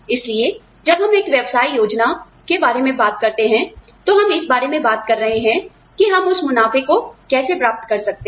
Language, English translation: Hindi, So, when we talk about a business plan, we are talking about, how we can achieve those profits